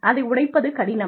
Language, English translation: Tamil, And, it is very hard